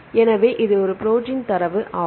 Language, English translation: Tamil, So, this is a protein data